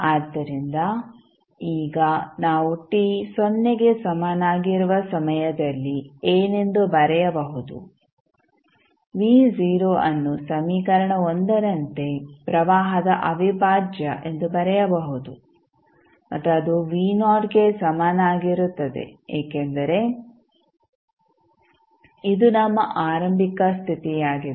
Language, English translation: Kannada, So, now what we can write at time t is equal to 0 v not v0 can be written as 1 upon c integral minus infinity to 0 I dt and that will be equal to v not because this is our initial condition